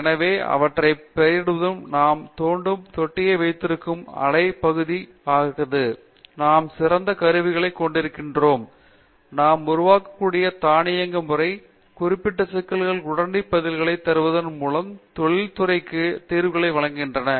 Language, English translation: Tamil, So, to name them we have the towing tank, we have wave basin, we have the flumes, we have the best of instrumentation, automation that we are able to form, give solutions to the industry by giving them immediate answers to specific problems